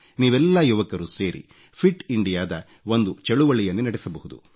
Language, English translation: Kannada, In fact, all you young people can come together to launch a movement of Fit India